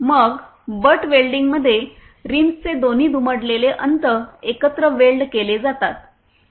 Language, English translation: Marathi, Then in butt welding, both folded end of the rims are welded together